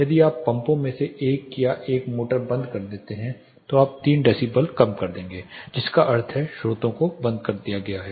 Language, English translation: Hindi, If you turn off one of the pumps or one of the motors you will reduce 3 decibels which means one of the sources is turned off